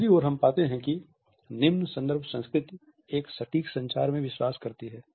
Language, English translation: Hindi, On the other hand we find that the low context culture believes in a precise communication